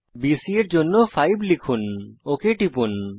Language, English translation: Bengali, 5 for length of BC and click ok